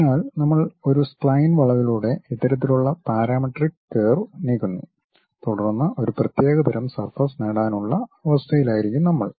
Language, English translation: Malayalam, So, we are moving such kind of parametric curve along a spine curve then also we will be in a position to get a particular kind of surface